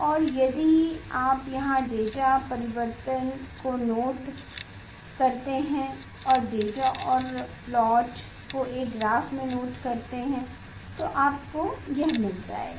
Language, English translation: Hindi, And, if you do note down the data change here itself and note down the data and plot in a graph you will get this